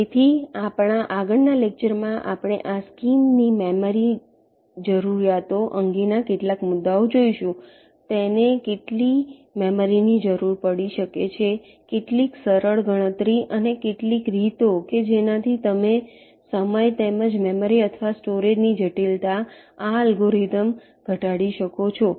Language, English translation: Gujarati, so in our next lecture we shall look at some issues regarding the memory requirements of this scheme, how much memory it can require, some simple calculation and some ways in which you can reduce the time, as well as the memory or in storage complexity in this algorithm